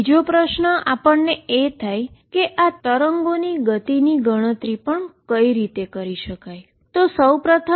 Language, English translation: Gujarati, The other question is let us also calculate the speed of these waves